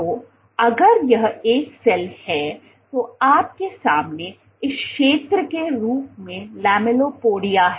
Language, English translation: Hindi, So, if this is a cell you have the lamellipodia as this zone in the front